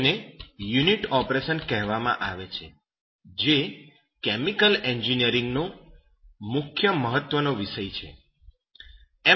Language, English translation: Gujarati, Now it is called a unit operation that is of the main important subjects in chemical engineering